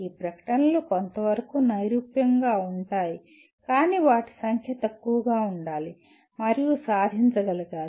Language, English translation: Telugu, These statements can be abstract to some extent but must be smaller in number and must be achievable